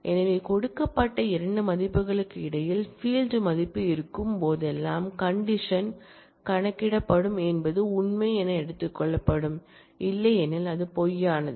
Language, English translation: Tamil, So that, whenever the field value will be between these 2 given values the condition will be predicated will be taken to be true otherwise is taken to be false